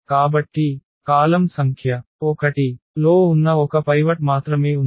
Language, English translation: Telugu, So, there is only one pivot that is in the column number 1